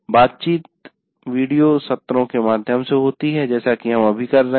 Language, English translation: Hindi, Interaction is through video sessions like what we are doing right now